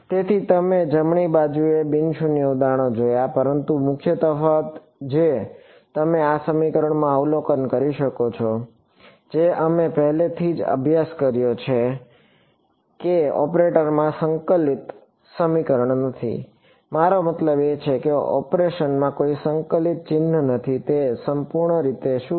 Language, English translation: Gujarati, So, we have seen examples of non zero on the right hand side, but the main difference that you can observe in this equation from what we already studied is what there is no integral equation in the operator; I mean there is no integral sign in the operation, it is purely means of what